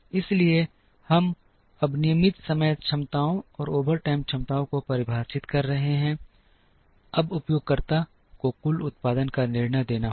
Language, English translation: Hindi, So, we are now defining the regular time capacities and the overtime capacities, now the user has to give a decision on the total production